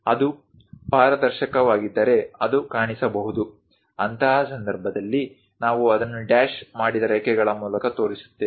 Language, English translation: Kannada, If it is transparent, it might be visible; in that case, we will show it by dashed lines